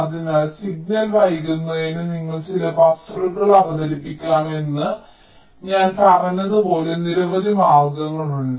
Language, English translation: Malayalam, so there are several ways, as i had said, you can introduce some buffers to delay the signal